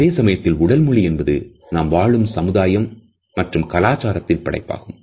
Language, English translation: Tamil, At the same time our body language is also a product of our society and culture